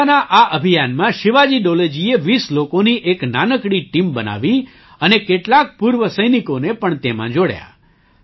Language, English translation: Gujarati, In this campaign, Shivaji Dole ji formed a small team of 20 people and added some exservicemen to it